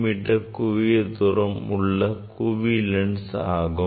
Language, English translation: Tamil, there is the focal length of convex lens